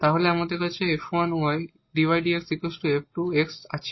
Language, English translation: Bengali, So, what we will get